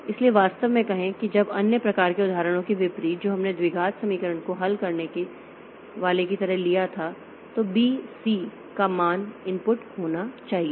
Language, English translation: Hindi, So, actually unlike, say when unlike other other type of examples that we took like, solving quadratic equation, the values of A, B, C are to be input